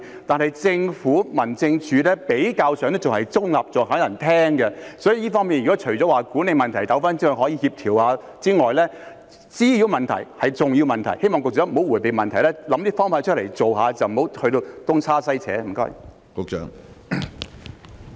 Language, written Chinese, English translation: Cantonese, 但是，政府、民政事務處比較上是中立的，還有人肯聽，所以除了管理問題糾紛可以協調一下之外，滋擾問題也是重要問題，希望局長不要迴避問題，要想出方法去做，不要東拉西扯。, However the Government and the District Offices are relatively neutral and there are still people who are willing to listen to them . Apart from management disputes that can be coordinated nuisance is also an important issue . I hope that the Secretary will not evade the issue and come up with ideas to address it instead of beating around the bush